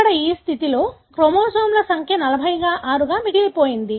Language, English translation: Telugu, Here, in this condition, the chromosome the number remains 46